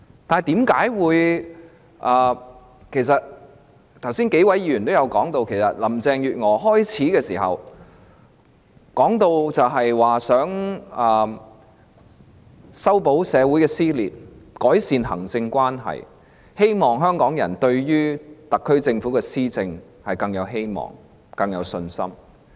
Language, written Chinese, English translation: Cantonese, 正如剛才數位議員提及，林鄭月娥開始擔任特首時，曾表示要修補社會的撕裂、改善行政立法關係，希望香港人對特區政府的施政更有希望、更有信心。, As a number of Members mentioned earlier when Carrie LAM took office she said she hoped to mend the social rift and improve the relationship between the executive and the legislature and hoped that the people of Hong Kong will hold hopes and confidence in the administration of the SAR Government